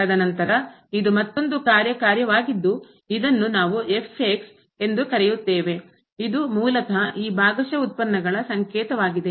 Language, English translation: Kannada, And then we have some other function which I am calling as which is basically the notation of this a partial derivatives